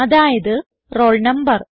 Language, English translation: Malayalam, That is roll number